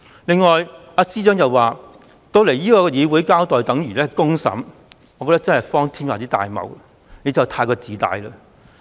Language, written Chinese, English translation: Cantonese, 此外，司長亦說前來議會交代便等於接受公審，我覺得真的是荒天下之大謬。, Furthermore the Secretary for Justice has also argued that giving an account in the legislature is tantamount to receiving a public trial . I think this honestly sounds very ridiculous